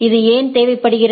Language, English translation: Tamil, Why this is required